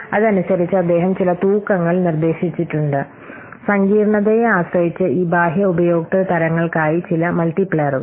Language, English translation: Malayalam, So, in this way, he has proposed some weights, some multipliers for the what different external user types